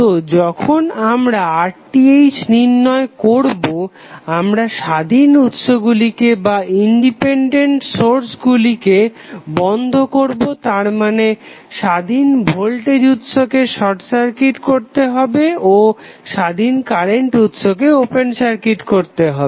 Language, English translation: Bengali, So, when we calculate R Th we make the independence sources turned off that means that voltage source independent voltage source would be short circuited and independent current source will be open circuited